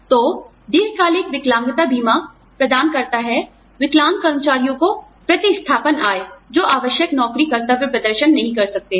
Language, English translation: Hindi, So, long term disability insurance provides, replacement income to disabled employees, who cannot perform, essential job duties